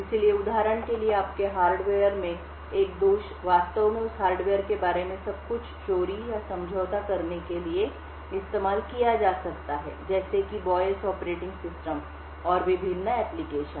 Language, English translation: Hindi, So, for example, a flaw in your hardware could actually be used to steal or compromise everything about that hardware like the BIOS operating system and the various applications